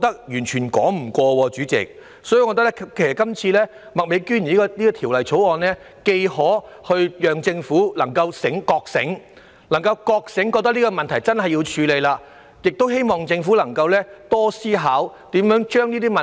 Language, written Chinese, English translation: Cantonese, 因此，麥美娟議員今次提出是項《條例草案》，既可令政府覺醒，明白必須切實處理這問題，亦希望能促使政府多加思考，探討如何解決相關問題。, Hence it is hoped that with the introduction of the Bill by Ms Alice MAK the Government will be made aware of the need to make conscientious efforts to address the problem and be prompted to give more thoughts to the issue of what it should do to get the related problems resolved